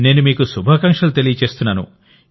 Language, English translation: Telugu, Okay, I wish you all the best